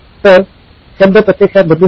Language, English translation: Marathi, So the wording can actually change